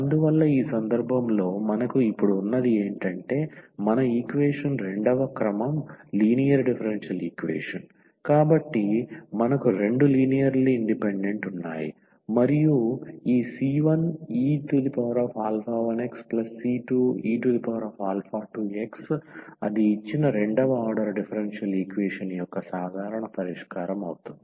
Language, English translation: Telugu, And in this case what we have now, thus the general solution we can write down because the our equation was the second order linear differential equation, we have two linearly independent solutions and if we write down this c 1 e power alpha 1 x c 2 e power alpha 2 x that will be the general solution of the given second order differential equation